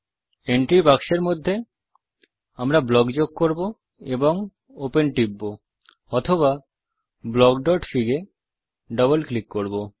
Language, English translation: Bengali, In the entry box, we can enter block and press open.Or double click on block.fig